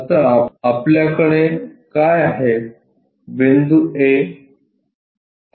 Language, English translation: Marathi, Now, what we have is point A